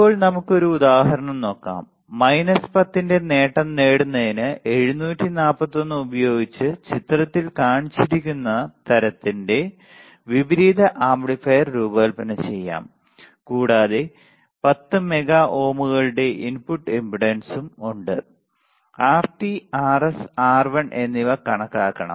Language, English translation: Malayalam, Now, let us take an example, let us take an example design an inverting amplifier of the type shown in figure using 741 to get a gain of minus 10 and input impedance of 10 mega ohms right also calculate Rt Rs and R1 this are the this are this is the problem